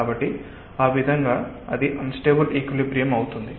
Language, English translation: Telugu, so in that way it will be unstable equilibrium